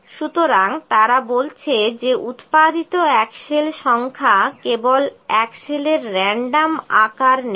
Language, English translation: Bengali, So, what they are telling that number of axles are produced it just pick the random size of axles